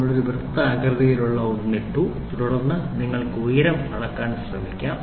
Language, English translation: Malayalam, So, we put a circular one and then you can try to measure the height